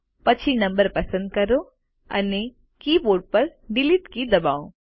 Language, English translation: Gujarati, Then select the number and press the Delete key on the keyboard